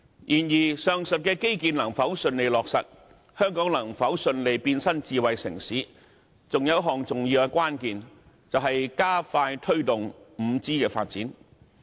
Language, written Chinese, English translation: Cantonese, 然而，上述的基建能否順利落實，香港能否順利變身智慧城市，還有一項重要的關鍵，就是加快推動 5G 的發展。, Nevertheless one more important key to the smooth implementation of the aforesaid infrastructural projects and successful transformation of Hong Kong into a smart city is expediting the promotion of 5G development